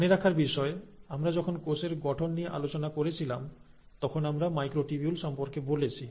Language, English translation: Bengali, Remember we spoke about microtubules when we were talking about cell structure